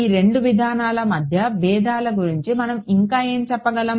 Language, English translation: Telugu, Any what else can we say about the differences